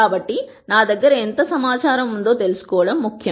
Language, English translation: Telugu, So, it is important to know how much information I actually have